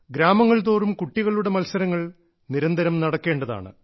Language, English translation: Malayalam, In villages as well, sports competitions should be held successively